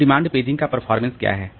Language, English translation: Hindi, Now, what is the performance of demand paging